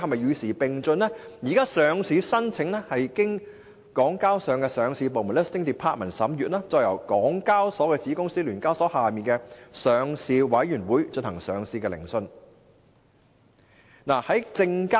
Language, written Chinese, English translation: Cantonese, 現時，上市申請是經由港交所的上市部審閱，再由港交所的子公司聯交所之下的上市委員會進行上市聆訊。, Currently listing applications are vetted by the Listing Department LD of HKEx to be followed by a listing hearing by the Listing Committee under SEHK a subsidiary of HKEx